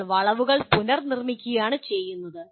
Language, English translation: Malayalam, You are just producing the, reproducing the curves